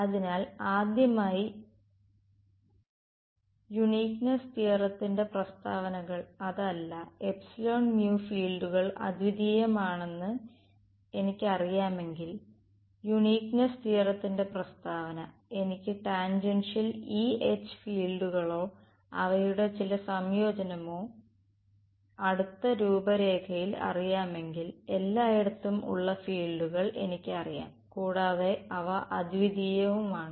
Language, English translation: Malayalam, So, first of all statement of uniqueness theorem was not that if I know epsilon mu the fields are unique, statement of uniqueness theorem was if I know the tangential E and H fields or some combination thereof over a close contour then I know the fields everywhere and they are unique